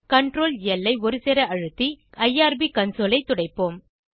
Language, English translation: Tamil, Press ctrl, L keys simultaneously to clear the irb console